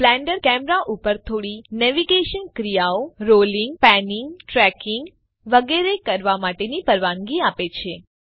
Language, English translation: Gujarati, Blender also allows you to perform a few navigational actions on the camera, such as rolling, panning, tracking etc